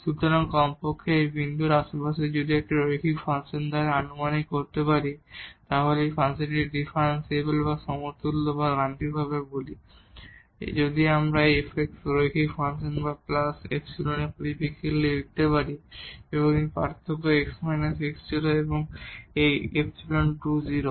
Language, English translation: Bengali, So, at least in the neighborhood of this point if we can approximate by a linear function then we call this function as differentiable or equivalently or mathematically, if we can write down this f x in terms of the linear function and plus the epsilon and this is the difference x minus x naught and this epsilon also goes to 0